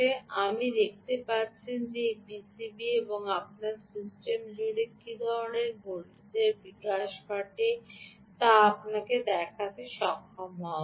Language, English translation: Bengali, you can see that this is the p c b and i should be able to show you what kind of voltage develops, ah, across this system